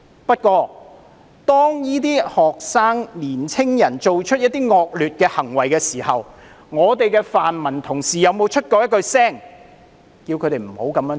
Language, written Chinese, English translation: Cantonese, "不過，當這些學生、年青人做出一些惡劣行為的時候，我們的泛民同事有沒有出聲叫他們不要這樣做？, Yet when these students or young people had perpetrated some nasty acts did our Honourable colleagues of the pan - democratic camp speak up and dissuade them?